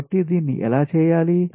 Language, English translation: Telugu, so how to